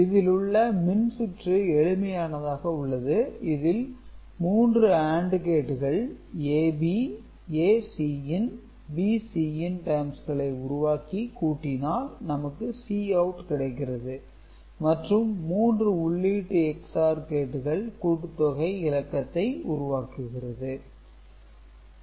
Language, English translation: Tamil, So, basically this is the 3 AND gates generating AB, ACin, BCin terms and that are ORed to get Cout and this 3 input XOR gate, that is generating the sum bit